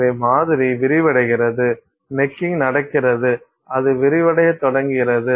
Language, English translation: Tamil, So, this is how the sample expands, necking happens and it starts expanding